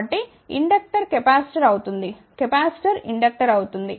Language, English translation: Telugu, So, inductor becomes capacitor, capacitor becomes inductor